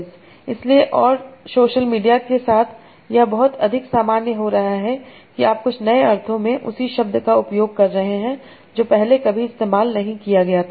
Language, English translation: Hindi, So, and with the social media this is becoming a lot more common, that you are using the same word in some new senses